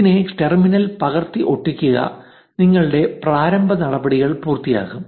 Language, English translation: Malayalam, Copy, paste it in the terminal and your initialization will be complete